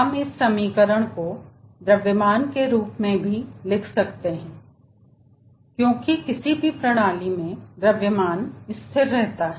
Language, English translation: Hindi, we can write this equation also in terms of mass, as the mass of the system is remaining constant